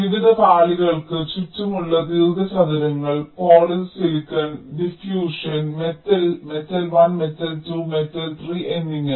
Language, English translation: Malayalam, rectangles around various layers: polysilicon, diffusion, metal, metal one, metal two, metal three, and so on fine